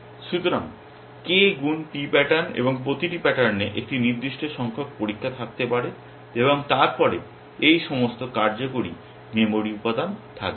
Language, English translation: Bengali, So, k into p patterns totally and each pattern may have a certain number of tests essentially and then, all these working memory elements